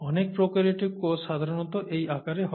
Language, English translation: Bengali, Many prokaryotic cells are of that size typically speaking